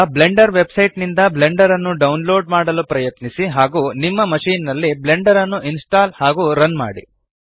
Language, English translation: Kannada, Now try to download Blender from the Blender website and install and run Blender on your machine